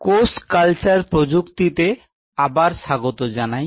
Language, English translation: Bengali, Welcome come back to the Cell Culture Technology